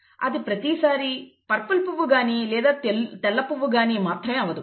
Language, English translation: Telugu, It is not either purple flowers or white flowers, okay